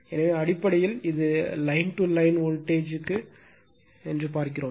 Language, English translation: Tamil, So, basically it is sees the line to line voltage